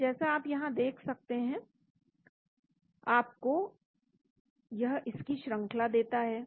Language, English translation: Hindi, So as you can see here it gives you the sequence of this